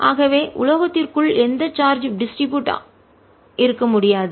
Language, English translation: Tamil, they cannot be any charge distribution inside the metal